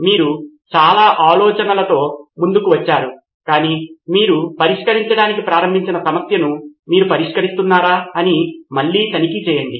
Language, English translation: Telugu, You come up with a lot of ideas which a but again always checking back whether you are solving the problem that you started out to solve